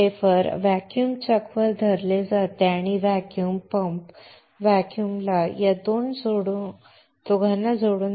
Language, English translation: Marathi, The wafer is held on the vacuum chuck and this vacuum is created by connecting these two to a vacuum pump